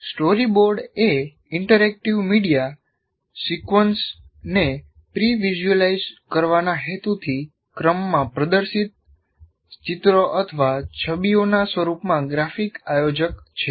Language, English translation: Gujarati, A story board is a graphic organizer in the form of illustrations are images displayed in sequence for the purpose of pre visualizing an interactive media sequence